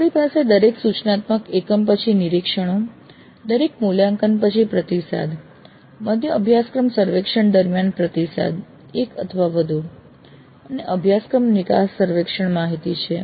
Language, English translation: Gujarati, So we have observations after every instruction unit, then feedback after every assessment, then feedback during mid course surveys one or more, then the course exit survey data